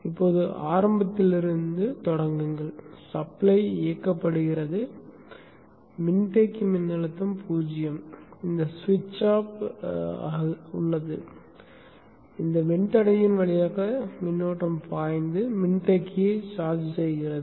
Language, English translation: Tamil, Okay so now start from the beginning the supply is turned on, capacitor voltage is zero, this switch is off, the current flows through this resistor and charges of the capacitor